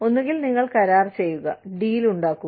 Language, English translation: Malayalam, Either, you do the deal